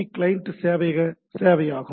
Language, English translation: Tamil, So, it is a HTTP client server service